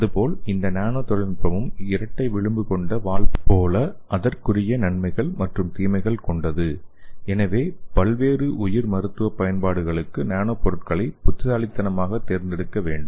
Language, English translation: Tamil, Similarly this nano technology also like a double edge sword so it has it is own advantages as well as disadvantages so we have to select the nano materials wisely for the various biomedical applications